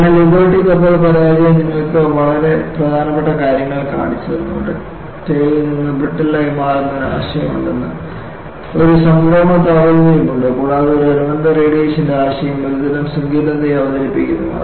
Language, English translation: Malayalam, So, the Liberty ship failure has shown you very important things; that there is a concept of changing from ductile to brittle; there is a temperature, transition temperature and a related concept is radiation introduces a sort of embrittlement